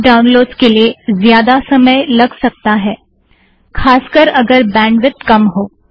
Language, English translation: Hindi, Some of the downloads could take a lot of time especially if the bandwidth is low